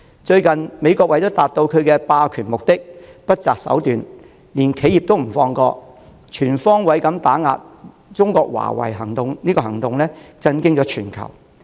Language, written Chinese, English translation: Cantonese, 最近，美國為達到其霸權目的而不擇手段，連企業也不放過，不惜全方位打壓中國的華為，震驚全球。, Recently the United States has exploited every means and tactic to achieve its hegemonic ambitions by way of targeting even companies going so far as to mounting an all - out clampdown on Huawei of China which shook the world